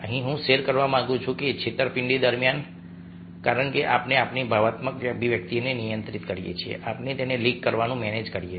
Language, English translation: Gujarati, ah, here i would like to say that during deceit, because we are controlling our emotional expressions, we manage to leak them